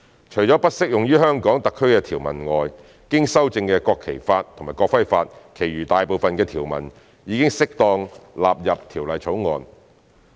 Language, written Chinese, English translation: Cantonese, 除了不適用於香港特區的條文外，經修正的《國旗法》及《國徽法》其餘大部分的條文已適當地納入《條例草案》。, Except for some provisions that are not applicable to HKSAR the majority provisions of the amended National Flag Law and the amended National Emblem Law have been suitably incorporated into the Bill as appropriate